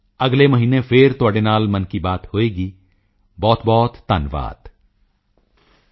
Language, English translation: Punjabi, Friends, we will speak again in next month's Mann Ki Baat